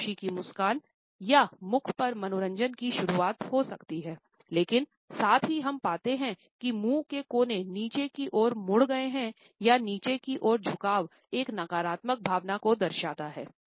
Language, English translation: Hindi, It may be the beginning of a smile of pleasure or amusement on mouth, but at the same time we find that corners of the mouth are turned downwards almost immediately and this downward incrimination indicates a negative emotion